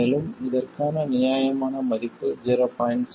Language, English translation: Tamil, But we will assume that it is 0